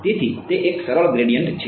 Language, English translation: Gujarati, So, it's a simple gradient